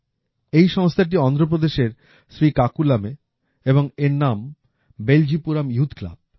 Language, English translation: Bengali, This institution is in Srikakulam, Andhra Pradesh and its name is 'Beljipuram Youth Club'